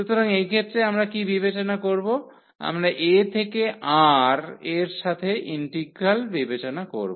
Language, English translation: Bengali, So, in this case what we will consider, we will consider the integral a to R